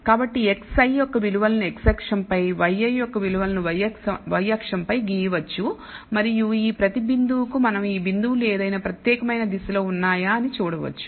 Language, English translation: Telugu, So, we can plot the values of x i on the x axis y i under y axis and for each of these points and we can see whether these points are oriented in any particular direction